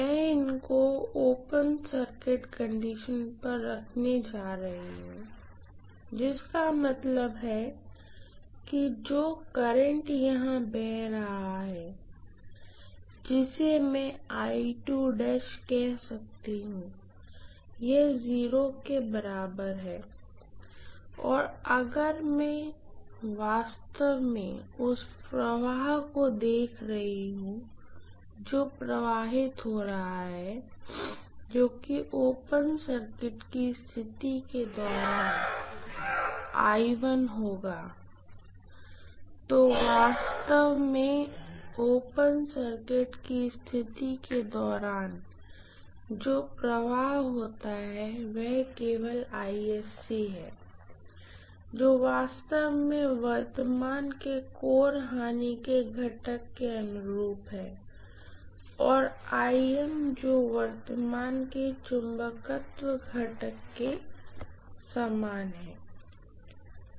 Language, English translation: Hindi, I am going to have these on open circuit condition, which means the current that is flowing here which I make call as I2 dash this is equal to 0 and if I am looking at actually the current that is flowing here which will be I1 during the open circuit condition, what actually flows during the open circuit condition here is only IC which is actually corresponding to core loss component of current and IM which is corresponding to the magnetising component of current